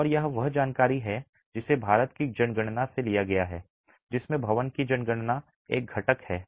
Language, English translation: Hindi, And this is information that's been pulled out of the building census from the census from the census of India in which the building census is a component